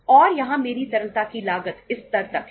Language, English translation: Hindi, And here my cost of liquidity is up to this level